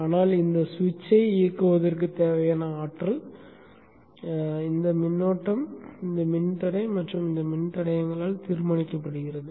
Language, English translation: Tamil, But then the energizing current that is needed for turning on this switch is decided by this resistor and these resistors